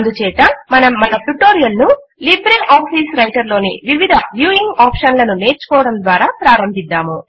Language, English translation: Telugu, So let us start our tutorial by learning about the various viewing options in LibreOffice Writer